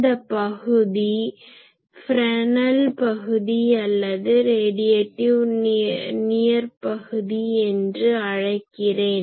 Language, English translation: Tamil, So, this region I will say Fresnel region, Fresnel region or sometimes called radiative near field